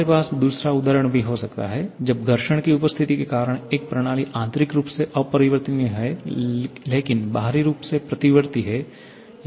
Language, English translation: Hindi, We can also have the other example when a system is internally irreversible because of the presence of friction, but externally reversible